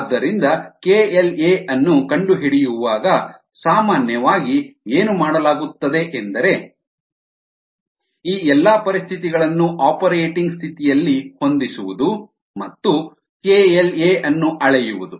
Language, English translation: Kannada, so what is normally done while ah finding the k l a is ah to set all these conditions at the operating condition and measure the k l a